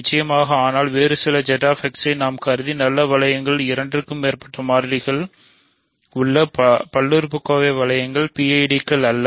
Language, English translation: Tamil, Of course, but some of the other nice rings that we have considered Z X, polynomial rings in more than two variables are not PIDs